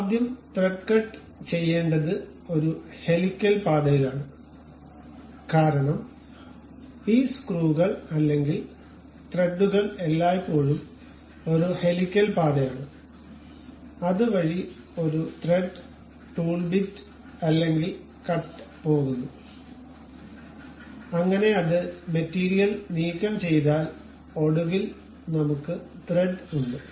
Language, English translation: Malayalam, To make thread cut first what we have to do is a helical path because these screws or threads are always be having a helical path about which a thread, a tool bit or cut really goes knife, so that it removes the material and finally, we will have the thread